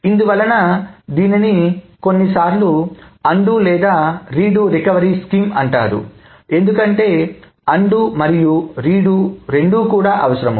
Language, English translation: Telugu, So, this is why this scheme is also sometimes called an undo re re do recovery scheme because both undoing and redoing is needed